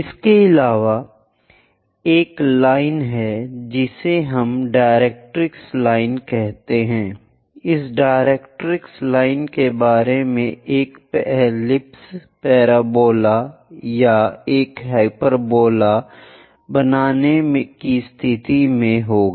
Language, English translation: Hindi, And there is a line which we call directrix line, about this directrix line one will be in a position to construct an ellipse parabola or a hyperbola